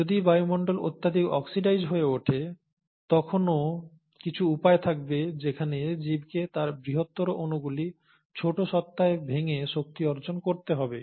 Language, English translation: Bengali, Now, if the atmosphere has become highly oxidized, there are still ways by which the organism has to derive energy by breaking down it's larger molecules into smaller entities